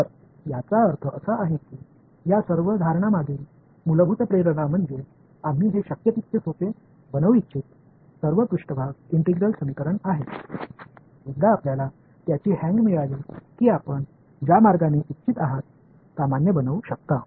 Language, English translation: Marathi, So, I mean the basic motivation behind all of these assumption is there are first surface integral equation we want to make it as simple as possible ok, once you get the hang of it you can generalize whichever way you want